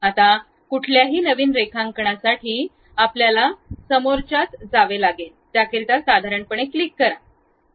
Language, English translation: Marathi, Now, for any new drawing, we have to go to front plane, click normal to that